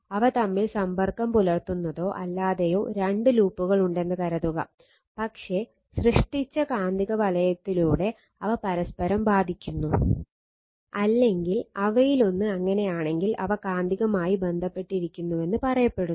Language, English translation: Malayalam, Suppose, you have two loops with or without contact between them, but affect each other through the magnetic field generated by one of them, they are said to be magnetically coupled